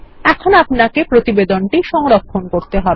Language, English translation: Bengali, And, now, we will save the report